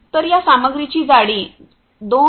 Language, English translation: Marathi, So, the thickness of this material is 2